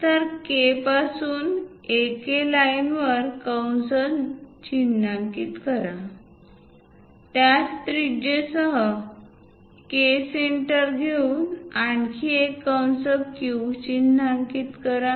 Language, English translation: Marathi, So, from K; mark an arc on AK line; with the same radius, from K as centre; mark another arc Q